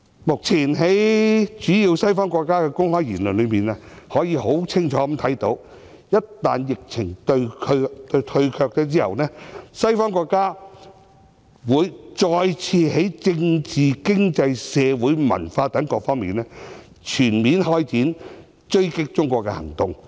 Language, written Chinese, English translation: Cantonese, 目前，在主要西方的公開言論中，可以清楚看到，一旦疫情退卻，西方國家會再次在政治、經濟、社會、文化等各方面，全面開展追擊中國的行動。, At present it is clear from the remarks made publicly by some major Western countries that once the epidemic has subsided they will again launch comprehensive attacks on China on political economic social and cultural fronts